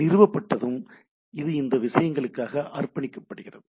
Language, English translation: Tamil, Once established the this is dedicated for this things